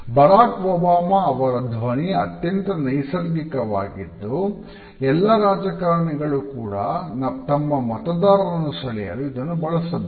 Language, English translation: Kannada, Barack Obama’s voice seems very natural, but most politicians work very hard to achieve a sound that impresses the voters